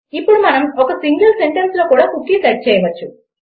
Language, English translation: Telugu, Now we can also set a cookie in a single sentence